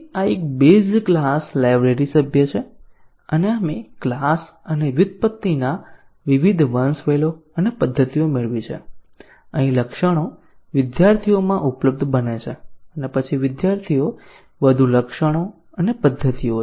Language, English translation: Gujarati, So, this is a base class library member and we have derived classes and several hierarchies of derivation and the methods, attributes here become available in students and then the students are further attributes and methods